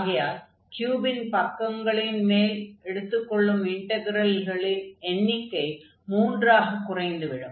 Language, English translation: Tamil, So, we have the integral over the surface of this cubic, of this cube reduces to the three surfaces